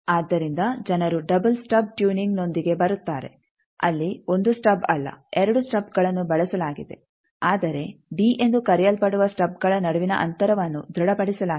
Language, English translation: Kannada, So, people come up with a double stub tuning where the 2 stubs are used not 1 stub, but the distance between the stubs that is called d that is fixed this 1 is fixed